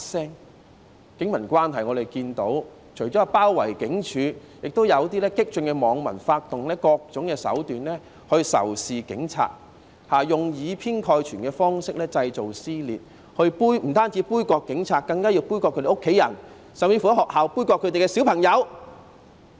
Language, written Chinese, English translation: Cantonese, 在警民關係方面，我們除了看到示威者包圍警總之外，也有部分激進網民發動各種手段仇視警察，用以偏概全方式製造撕裂，不僅杯葛警察，更要杯葛他們的家人，甚至在學校杯葛他們的孩子。, In respect of the relations between the Police and the people we have seen protesters besieging the Police Headquarters and this aside some radical netizens have incited animosity against police officers by various means and created rifts using lopsided biased approaches . Not only the Police but also their family members are boycotted and even their children are boycotted in schools